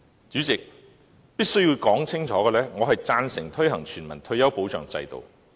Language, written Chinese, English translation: Cantonese, 主席，我必須清楚說明，我贊成推行全民退休保障制度。, President I must clearly declare my support regarding the launch of a universal retirement protection system